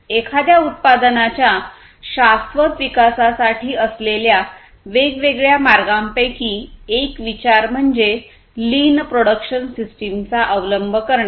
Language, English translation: Marathi, So, one of the considerations for such kind of sustainable development of a product is to have the adoption of lean production system